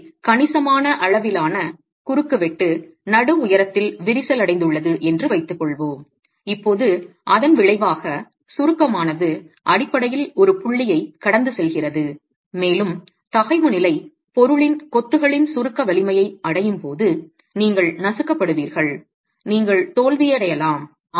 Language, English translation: Tamil, So let's say significant amount of cross section has cracked at the mid height and now the resultant compression is basically passing through a point and when the stress level reaches the compressive strength of the material masonry you get crushing and you can have failure